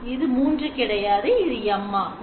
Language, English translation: Tamil, So this should not be 3 this should be M